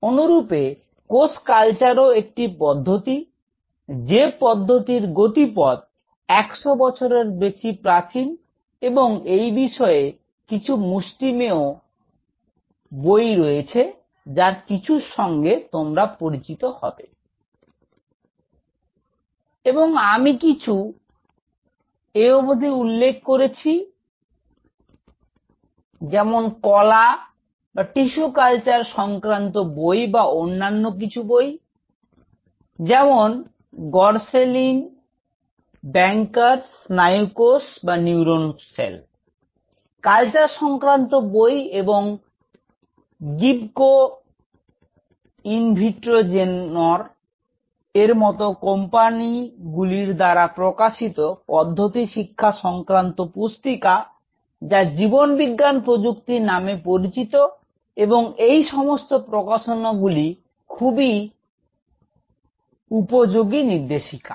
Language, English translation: Bengali, Similarly cell culture is a tool, but tool whose journey if you look back is now more than 100 years old and there are handful of books, you will come across and some of them; I have already mentioned like tissue cultured book or few other books like gorsline bankers, neural cell culture book and there are manuals published by companies like Gibco Invitrogenor; currently which is known as life science technologies and they are really nice guide